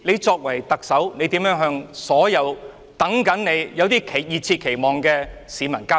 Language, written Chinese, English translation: Cantonese, 身為特首，你如何向所有等你和充滿熱切期望的市民交代？, As the Chief Executive how do you justify yourself to the public who have been waiting for and pinned high hopes on you?